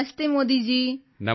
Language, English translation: Punjabi, Namastey Modi ji